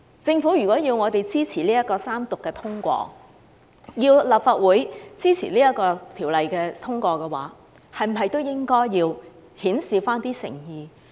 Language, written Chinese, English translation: Cantonese, 政府如果要立法會支持三讀並通過這項《條例草案》，是否也應該顯示一點誠意？, If the Government wishes the Legislative Council to support the Third Reading and passage of the Bill should it show a little sincerity?